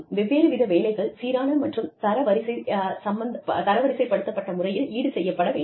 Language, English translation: Tamil, Different jobs need to be compensated for, in a consistent, standardized, manner